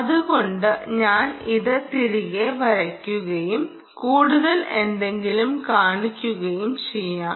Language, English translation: Malayalam, so i will put this back and i will show you something more